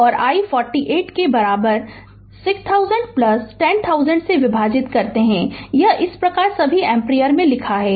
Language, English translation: Hindi, And i equal to your 48 right divided by 6000 plus your 10000 ah 10000 this is this is your writing on it all ampere right